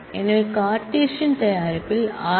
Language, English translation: Tamil, So, we can take a Cartesian product